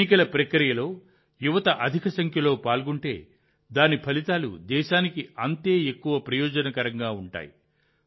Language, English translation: Telugu, The more our youth participate in the electoral process, the more beneficial its results will be for the country